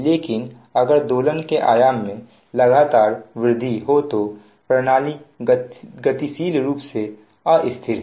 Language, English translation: Hindi, but if there oscillations continuously grow in amplitude, the system is dynamically unstable